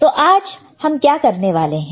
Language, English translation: Hindi, So, what we will do today